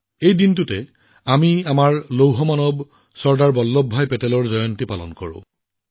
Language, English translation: Assamese, On this day we celebrate the birth anniversary of our Iron Man Sardar Vallabhbhai Patel